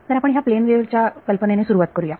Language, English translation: Marathi, So, let us start with the plane wave idea